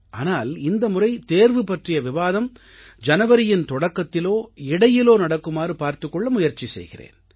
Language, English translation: Tamil, It will be my endeavour to hold this discussion on exams in the beginning or middle of January